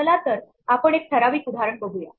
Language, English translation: Marathi, So, let us look at a typical example